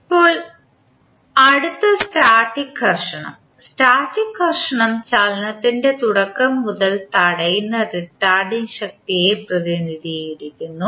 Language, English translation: Malayalam, Now, next static friction, static friction represents retarding force that tends to prevent motion from beginning